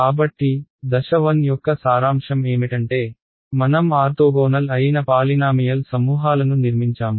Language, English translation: Telugu, So, what is our sort of summary of step 1 is I have constructed a set of polynomials which are orthogonal right